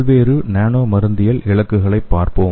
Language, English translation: Tamil, Let us see the various nano pharmacological targets